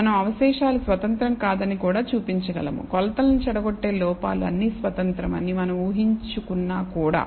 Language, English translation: Telugu, We also can show that the residuals are not independent even though we assume that the errors corrupting the measurements are all independent